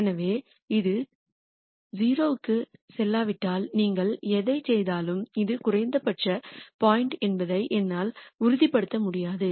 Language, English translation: Tamil, So, whatever you do unless this goes to 0, I cannot ensure that this is a minimum point